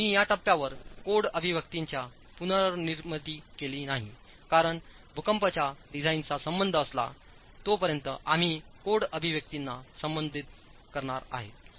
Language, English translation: Marathi, I have not reproduced the code expressions at this stage because we will be addressing the code expressions as far as seismic design is concerned, but the R is a factor that sits in the numerator